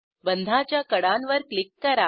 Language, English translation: Marathi, Click on the edges of the bonds